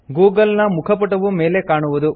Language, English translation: Kannada, The google home page comes up